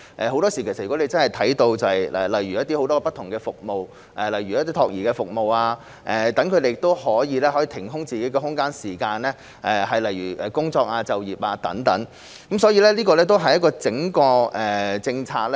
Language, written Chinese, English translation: Cantonese, 很多時候，如果能提供很多不同的服務，例如託兒服務，她們便可以騰出自己的空間和時間來工作就業，所以我們需要檢視整體政策。, In many cases if many different services such as child care services can be provided they can free up their own capacity and time for work or employment . For this reason we need to examine the overall policy